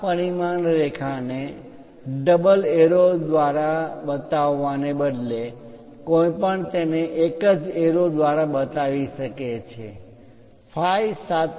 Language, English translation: Gujarati, Instead of showing this dimension line double arrows thing one can also show it by a single arrow, a leader line with phi 7